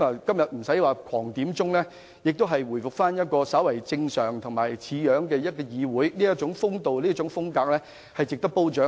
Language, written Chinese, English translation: Cantonese, 今天沒有議員不斷點算法定人數，議會回復較為正常的模樣，表現出的風度和風格值得褒獎。, Without any Member endlessly requesting a headcount today the Council has more or less resumed to its normal state . The demeanour and style exhibited are commendable